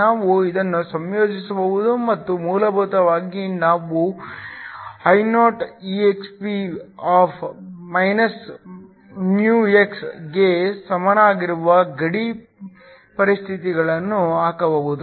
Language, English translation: Kannada, We can integrate this and basically put the boundary conditions which give us I is equal to Ioexp( μx)